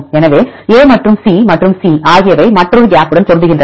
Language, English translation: Tamil, So, A then C and C are matching right then another gap